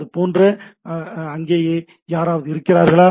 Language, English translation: Tamil, Like, it is something is anybody there